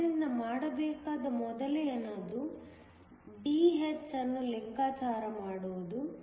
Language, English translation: Kannada, So, the first thing to do is to calculate Dh